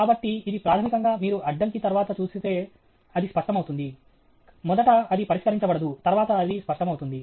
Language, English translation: Telugu, So, this is the… basically you see after the obstruction it becomes clear, first it becomes unsettled, then it becomes clear